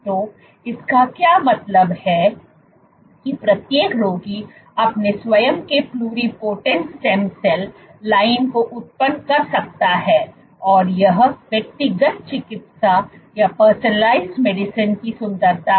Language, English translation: Hindi, So, in what does this mean that each patient can generate his/her own pluripotent stem cell line and this is what is the beauty of personalized medicine